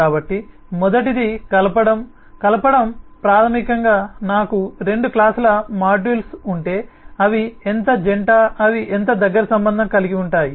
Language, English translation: Telugu, coupling basically says that if i have two classes of modules, then how couple they are, how closely interrelated they are now